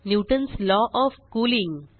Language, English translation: Marathi, Newtons law of cooling